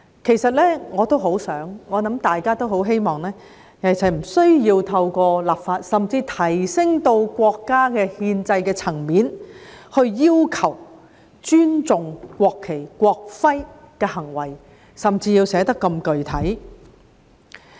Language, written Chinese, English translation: Cantonese, 其實，我和大家一樣，也很希望不需要透過立法，甚至提升至國家憲制層面來要求人民尊重國旗和國徽，更甚要寫得如此具體。, In fact like everyone else I also hope that there is no need to require people to respect the national flag and the national emblem through legislation or even raise this to the level of the national constitutional regime and even make the wording of the law so specific